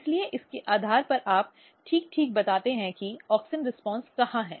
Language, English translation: Hindi, So, based on that you tell exactly where is the auxin responses